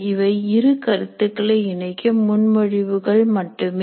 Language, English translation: Tamil, These are just propositions that can link two concepts